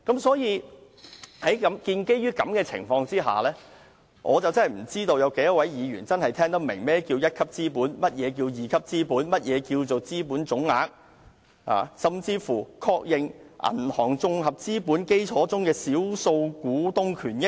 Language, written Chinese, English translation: Cantonese, 所以，在這個情況下，我實在不知道有多少位議員聽得懂何謂"一級資本"、"二級資本"、"資本總額"，甚至是"確認銀行綜合資本基礎中的少數股東權益"等。, Hence in this situation I really wonder how many Members understand what is meant by Tier 1 capital Tier 2 capital total capital or even recognition of minority interest in banks consolidated capital base